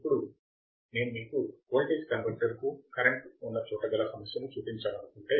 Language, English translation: Telugu, Now, if I want to show you problem where there is a current to voltage converter